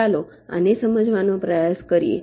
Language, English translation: Gujarati, you try to understand